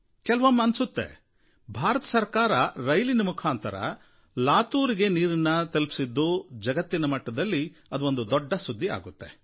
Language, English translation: Kannada, When the government used railways to transport water to Latur, it became news for the world